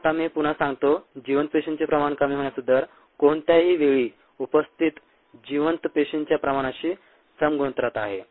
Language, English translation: Marathi, now let me repeat this: the rate of decrease of viable cell concentration is directly proportional to the viable cell concentration present at any time